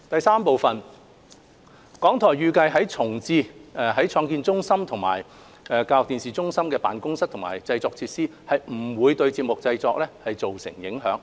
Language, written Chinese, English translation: Cantonese, 三港台預計重置創新中心及教育電視中心的辦公室和製作設施，不會對節目製作造成影響。, 3 RTHK expects that the re - provisioning of offices and production facilities at InnoCentre and ETC has no impact on programme production